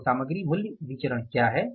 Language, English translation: Hindi, So, what is the material price variance